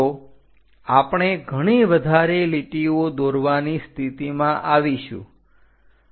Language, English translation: Gujarati, So, we will be in a position to draw many more lines